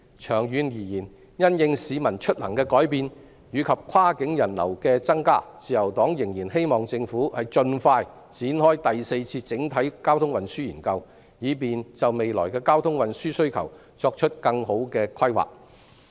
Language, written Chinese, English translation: Cantonese, 長遠而言，因應市民出行的改變及跨境人流的增加，自由黨仍然希望政府盡快展開第四次整體運輸研究，以便就未來的交通運輸需求作更好的規劃。, In the long run in view of the changes in commute of the public and the increase in cross boundary passengers the Liberal Party still hopes that the Government can quickly embark on the Fourth Comprehensive Transport Study so as to have a better planning for future transportation need